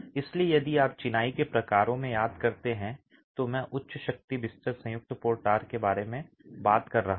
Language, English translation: Hindi, So if you remember in the typologies of masonry, I was talking about high strength bed joint motors